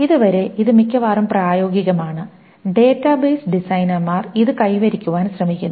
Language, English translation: Malayalam, Up to this is something which is mostly practical and database designers try to achieve after this